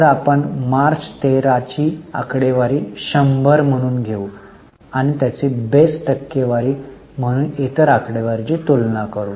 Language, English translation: Marathi, So, we will take March 13 figure as 100 and compare other figures as a percentage to that base